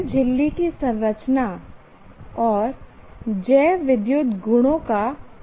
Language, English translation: Hindi, Who introduces structure and bioelectric properties